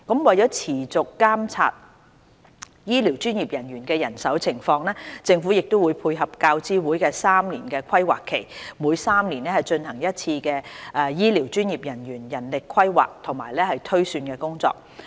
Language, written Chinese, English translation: Cantonese, 為持續監察醫療專業人員的人手情況，政府會配合教資會的3年規劃期，每3年進行一次醫療專業人員人力規劃和推算工作。, As an ongoing initiative to monitor the manpower situation of health care professionals the Government will conduct manpower planning and projections for health care professionals once every three years in step with the triennial planning cycle of UGC